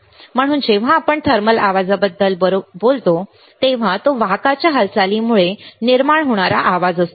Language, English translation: Marathi, So, when we talk about thermal noise right, it is noise created by the motion of the carriers